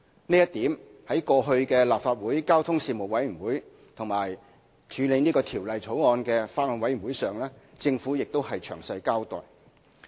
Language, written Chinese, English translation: Cantonese, 這一點在過去立法會交通事務委員會及審議《條例草案》的法案委員會上，政府已作出詳細交代。, The Government has given a detailed account in this regard at the Panel and the Bills Committee formed to scrutinize the Bill